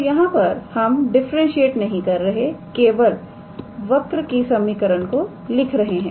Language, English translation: Hindi, So, so far we are not differentiating we are just writing the equation of the curve